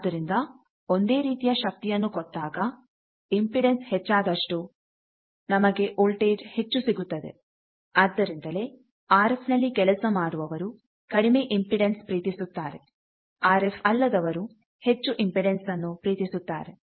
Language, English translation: Kannada, So, more impedance means you will get more voltage when the same power is given that is why the non RF people, they love higher impedance, RF people loves lower impedance